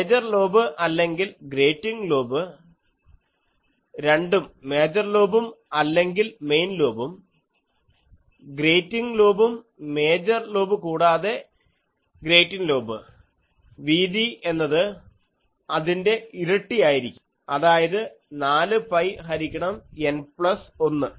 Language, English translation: Malayalam, And the major lobe or the grating lobe both major lobe or main lobe and grating lobe major lobe as well as grating lobe width is double of that is 4 pi by N plus 1